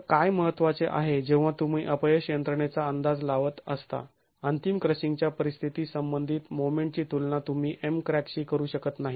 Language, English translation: Marathi, So, what is important is when you are estimating the failure mechanism, the moment corresponding to the ultimate condition, crushing, you cannot compare that to MCRAC